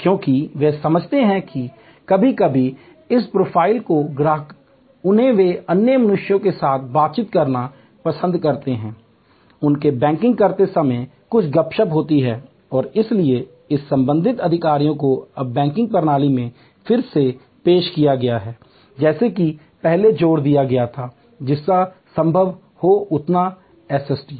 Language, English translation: Hindi, Because, they understand that sometimes people customer's of this profile they like to interact with other human beings have some chit chat while they are doing their banking and therefore, these relationship executives have been now re introduced in the banking system as suppose to earlier emphasize on as much SST as possible